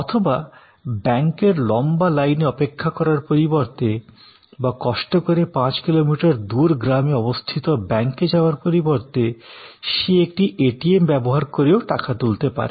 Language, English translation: Bengali, Or, instead of waiting at a long queue at a bank or instead of traveling five kilometers from your village to the next village for accessing the bank teller, you use an ATM, you use the self checking machine